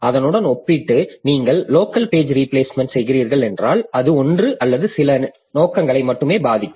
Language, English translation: Tamil, Compared to that, if you are doing local page replacement, then it will only affect one or a few processes only